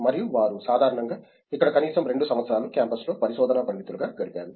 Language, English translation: Telugu, And they have typically spent at least 2 years here in campus as research scholars